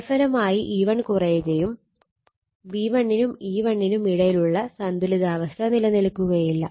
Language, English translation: Malayalam, As a result E 1 reduces and the balance between V 1 and E 1 would not would no longer exist, right